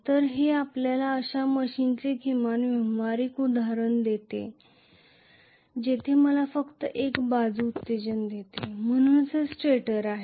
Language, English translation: Marathi, So, this gives you at least the practical example of a machine where I have only one side excitation, so this is the stator